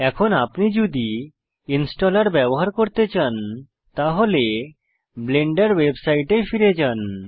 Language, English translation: Bengali, Now if you want to use the installer, lets go back to the Blender Website